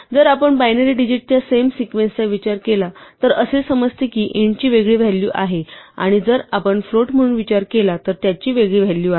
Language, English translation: Marathi, The same sequence of binary digits if we think of it as an int has a different value and if we think of it as a float has a different value